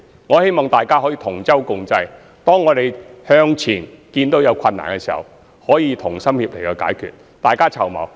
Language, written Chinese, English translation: Cantonese, 我希望大家可以同舟共濟，當我們看到前面有困難時，能夠同心協力去解決，大家一起籌謀。, As all of us are in the same boat I hope we will work with one heart and put our heads together to get over the hurdles in front of us